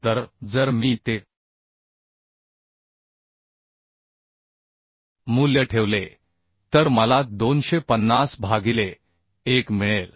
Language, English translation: Marathi, 5 So if I put those value I will get 250 by 1